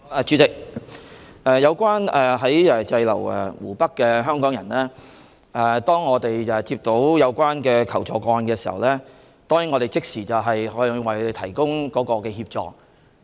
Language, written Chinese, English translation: Cantonese, 主席，有關滯留在湖北的香港人，當我們接到求助個案時，已即時向他們提供協助。, President regarding Hong Kong people stranded in Hubei we have immediately provided assistance upon receipt of their requests for assistance